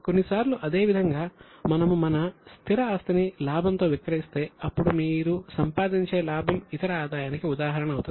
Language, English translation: Telugu, Same way, sometimes if we sell our fixed asset at profit, then the profit which you generate will be an example of other income